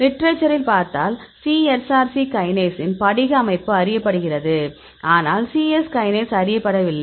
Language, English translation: Tamil, So, if we look in the literature; so crystal structure of cSrc kinase is known, but cyes kinase is not known